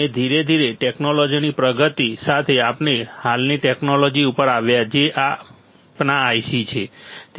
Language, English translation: Gujarati, And slowly with the advancement of technology, we came to the present technology which is our IC